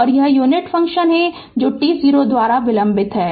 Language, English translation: Hindi, So, this is your unit ramp function delayed by t 0